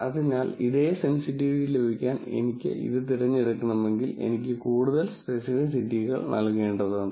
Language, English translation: Malayalam, So, if I have to pick this to get the same sensitivity, I have to give a lot more of specificity